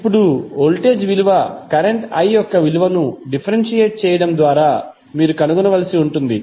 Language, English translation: Telugu, Now, voltage value you will have to find out by simply differentiating the value of current i